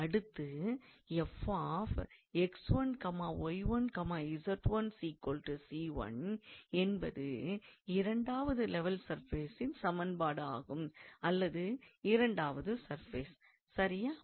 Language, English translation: Tamil, And f x 1, y 1, z 1 equals to c 1 is the equation of this second level surface all right or second surface